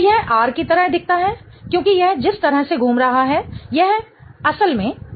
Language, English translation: Hindi, So, this looks like R because that's the way it is rotating and this is in fact R